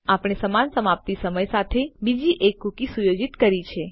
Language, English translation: Gujarati, Weve set another cookie with the same expiry time